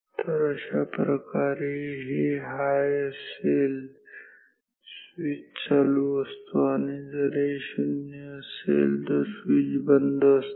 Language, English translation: Marathi, So, by this I mean if this is high I mean the switch is closed or on and if this is 0 I mean switches off